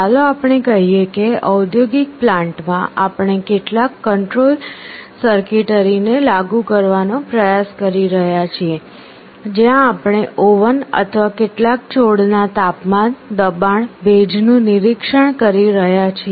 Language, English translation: Gujarati, Let us say, in an industrial plant we are trying to implement some control circuitry, where we are monitoring the temperature, pressure, humidity of a oven or some plant